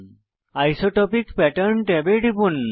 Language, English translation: Bengali, Click on the Isotropic Pattern tab